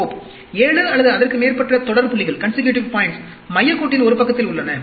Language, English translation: Tamil, 7 or more consecutive points are on one side of the center line